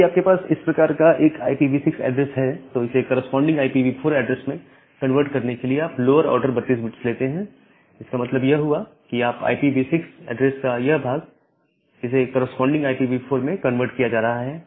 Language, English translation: Hindi, And if you have a IPv6 address like this to convert it to a corresponding IPv4 address, you take the lower order 32 bits, that means this part of the IPv6 address and convert it to the corresponding IPv4